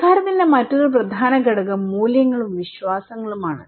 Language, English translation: Malayalam, Now, another important component of culture is the values and beliefs okay